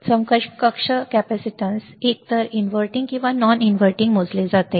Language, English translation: Marathi, The equivalent capacitance measured at either inverting or non inverting